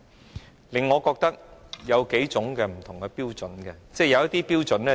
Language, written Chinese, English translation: Cantonese, 這令我覺得建制派和保皇黨持有不同的標準。, This makes me feel that the pro - establishment camp and the royalist camp have double standards